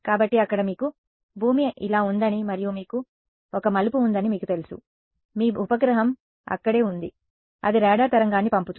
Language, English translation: Telugu, So, there you know you have the earth like this and you have one turn one your satellite is over here right, its sending a radar wave